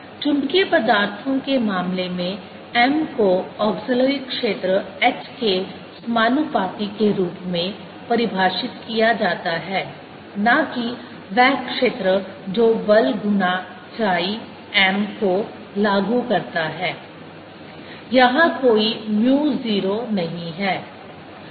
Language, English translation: Hindi, in the case of magnetic materials, m is defined as proportional to h, the auxiliary field, not the field which applies the force times chi m